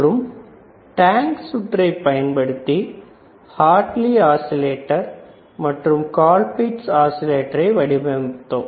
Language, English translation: Tamil, And using tank circuit, we have constructed a Hartley, we have constructed the Colpitts oscillator, then we have seen the crystal oscillators